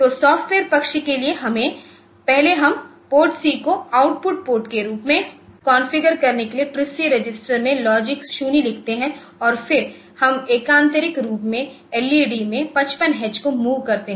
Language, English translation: Hindi, So, for the software side first we write logic 0 to TRISC register for configuring PORTC as an output port, and then we will move 55 H to alternate LEDs